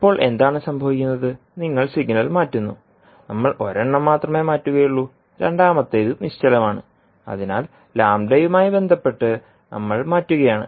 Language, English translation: Malayalam, So what is happening now that the signal is shifting because you are shifting it so the signal is shifting, we will only shift one, second one is stationary so we are shifting with respect to the value lambda